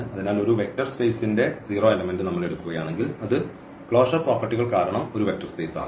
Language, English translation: Malayalam, So, if we take just the 0 element of a vector space that will form also a vector space because of the closure properties